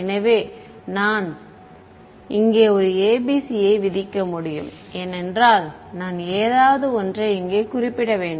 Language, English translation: Tamil, So, I can either I can impose a ABC over here because I have to I have to specify something